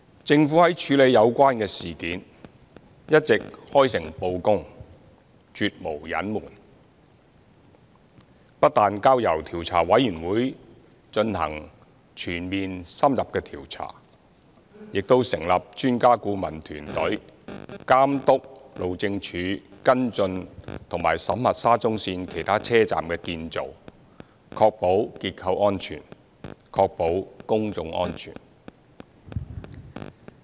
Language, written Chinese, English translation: Cantonese, 政府在處理有關事件時一直開誠布公、絕無隱瞞，不但交由調查委員會進行全面、深入的調查，亦成立專家顧問團隊監督路政署跟進及審核沙中線其他車站的建造，確保結構安全和公眾安全。, The Government has been dealing with the incident in an open and sincere manner with nothing to hide . We have not only referred it to the Commission of Inquiry for a comprehensive and in - depth inquiry but also established an Expert Adviser Team to supervise the follow - up and audit work on the construction of other SCL stations conducted by the Highways Department HyD so as to ensure structural and public safety